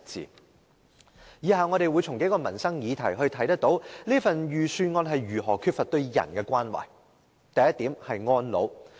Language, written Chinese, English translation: Cantonese, 從以下數項民生議題可見預算案如何缺乏對人的關懷。, The several livelihood issues as follows can show how the Budget is ripped of any care for the people